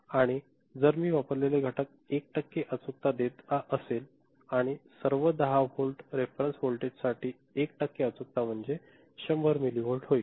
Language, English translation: Marathi, And if the components that I have used and all gives an accuracy of 1 percent right, for 10 volt reference voltage, accuracy is 1 percent, is 100 millivolt